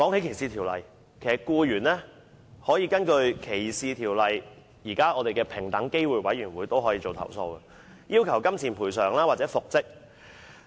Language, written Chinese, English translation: Cantonese, 其實，僱員可根據歧視條例，向平等機會委員會作出申訴，要求金錢賠償或復職。, In fact employees may lodge complaints with the Equal Opportunities Commission EOC under the ordinances on discrimination and ask for monetary compensation or reinstatement